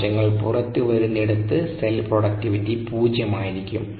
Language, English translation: Malayalam, you know cells coming out, so the productivity needs to be zero there